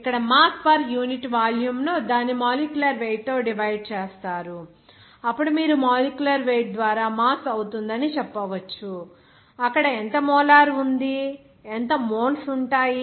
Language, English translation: Telugu, Here interesting that, that mass per unit volume out of that, you just divide it by molecular weight, then you can say that mass by molecular weight it will become, what is that, how much molar is there, how much moles will be there